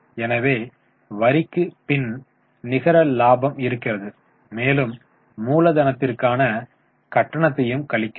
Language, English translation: Tamil, So, net operating coffee after tax, and we reduce the charge for the capital